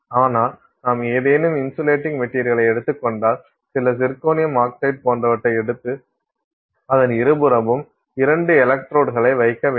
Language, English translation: Tamil, But if you take any insulating material, let's say you take whatever some zirconium oxide, something, something like that and put two electrodes on either side of it